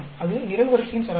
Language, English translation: Tamil, That is the column average